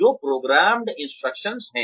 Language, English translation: Hindi, Which is programmed instruction